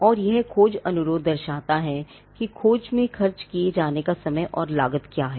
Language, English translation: Hindi, And this search request would indicate what is the time and cost that has to be expended in the search